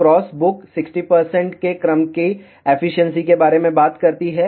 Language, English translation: Hindi, Cross book talks about efficiency of the order of 60 percent